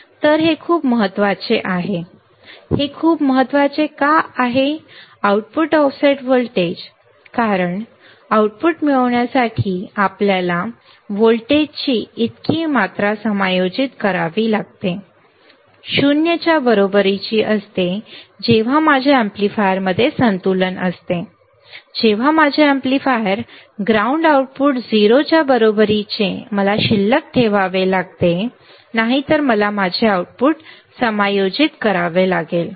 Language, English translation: Marathi, So, this is very important right this is very important why output offset voltage, because this much amount of voltage we have to adjust to get the output, equals to 0 when I have when I have to balance my amplifier, when I have to balance my amplifier not ground output equals to 0 then I have to adjust my output